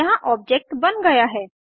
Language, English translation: Hindi, Here an object gets created